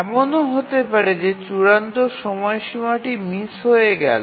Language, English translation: Bengali, So, there is a chance that the deadline will get missed